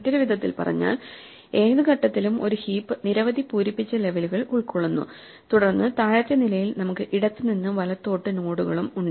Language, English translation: Malayalam, In other words, at any point a heap consists of a number of filled levels and then in the bottom level we have nodes filled from left to right and then possibly some unfilled nodes